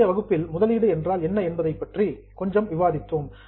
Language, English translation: Tamil, In our last to last session we had discussed a bit about what is an investment